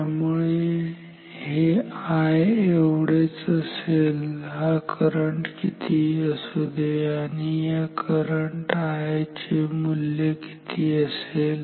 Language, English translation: Marathi, So, this will be same as I whatever this current is and what will be the value of this current I